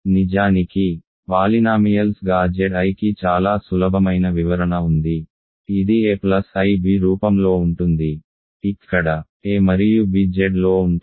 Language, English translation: Telugu, In fact, the as polynomials Z i has a much easier description, this is of the form a plus ib, where a and b are in Z